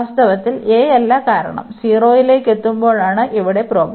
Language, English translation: Malayalam, In fact, not to a because the problem here is when is approaching to 0